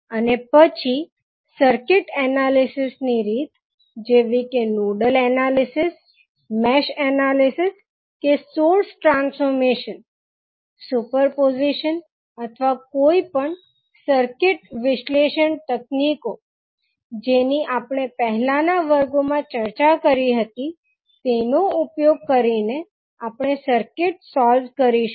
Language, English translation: Gujarati, And then we will solve the circuit using the circuit analysis techniques which we discussed in the previous classes those are like nodal analysis, mesh analysis or may be source transformation, superposition or any circuit analysis techniques which we discussed this includes your Thevenin’s and Norton’s equivalent’s also